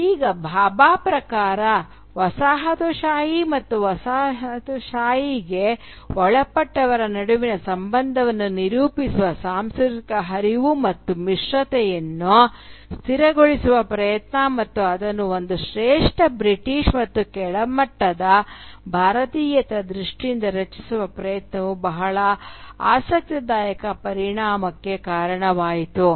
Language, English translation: Kannada, Now, according to Bhabha, the attempt to stabilise the cultural flux and hybridity that characterise the relationship between the coloniser and the colonised and to structure it in terms of a superior Britishness and an inferior Indianness led to a very interesting consequence